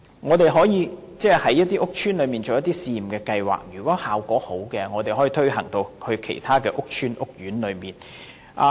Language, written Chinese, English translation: Cantonese, 我們可以在屋邨推行一些試驗計劃，如果效果良好，便可以推展至其他屋邨或屋苑。, Pilot schemes can be implemented in some estates and further extended to other estates or courts if good results are achieved